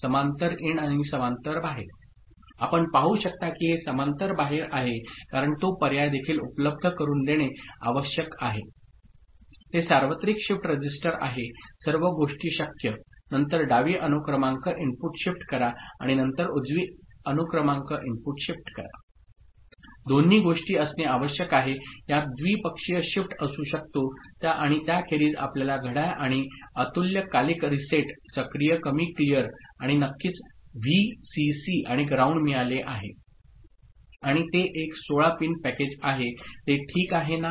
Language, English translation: Marathi, So, parallel in and parallel out, you can see this is parallel out because that option also need to be made available it is universal shift register all possible things, then shift left serial input and shift right serial input both the things need to be that can have bidirectional shift and other than that you have got clock and asynchronous reset, active low clear and of course, Vcc and ground and it is a 16 pin package is it ok, right